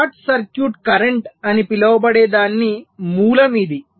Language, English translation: Telugu, this is the source of the so called short circuits current